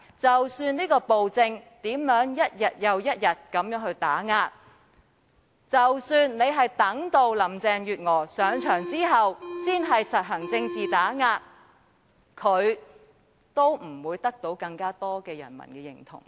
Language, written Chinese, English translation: Cantonese, 即使在他的暴政下，一天又一天地作出打壓，即使他意圖待林鄭月娥上任後才施以政治打壓，他也不會得到更多人民的認同。, He can go on suppressing the people relentlessly under his tyrannical rule or he may well plan to withhold his political suppression under after Carrie LAM has assumed office but he will never receive wider public approval either way